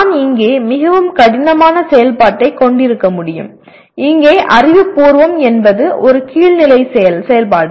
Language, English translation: Tamil, I can have very difficult activity even here; which is intellectually is a lower level activity